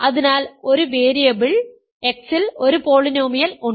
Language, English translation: Malayalam, So, there is a polynomials in one variable X